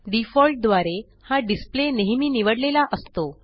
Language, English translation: Marathi, By default, this display is always selected